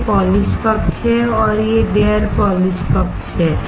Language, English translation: Hindi, This is the polished side, and this is the unpolished side